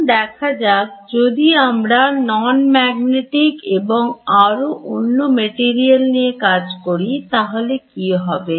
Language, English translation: Bengali, Now what we will deal with is we are dealing with non magnetic materials and moreover